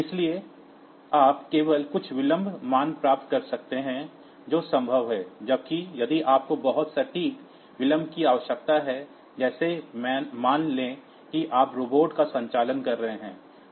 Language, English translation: Hindi, So, you can get only some of the delay values that are possible, whereas in if you need a very precise delay like suppose you are operating a robotic hand